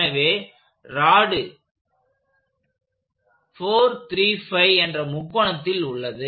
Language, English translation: Tamil, So, the rod BC is on the 4, 3, 5 triangle